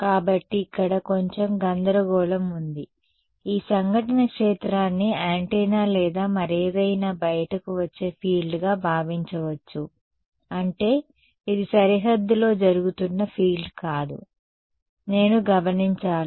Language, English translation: Telugu, So, slight confusion over here, this incident field do not think of it as the field that is coming out of an antenna or something, I mean it is not it is the field that is being incident on the boundary, which I should observe